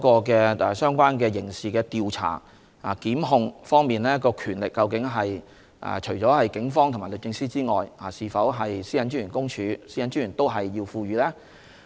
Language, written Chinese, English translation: Cantonese, 其次是在刑事調查和檢控的權力方面，除了警方和律政司之外，是否應該賦予公署和專員同樣權力呢？, Then it comes to the power to conduct criminal investigation and prosecution . Apart from the Police and DoJ should PCPD and the Commissioner be conferred the same power?